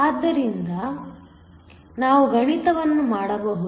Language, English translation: Kannada, So, we can go through and work out the math